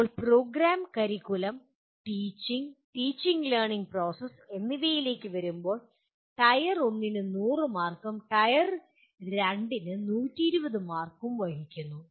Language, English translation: Malayalam, Now coming to program, curriculum and teaching, teaching learning processes, Tier 1 carries 100 marks and Tier 2 carries 120 marks